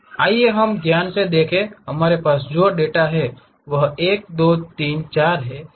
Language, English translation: Hindi, Let us look at carefully, the data points what we have is 1, 2, 3, 4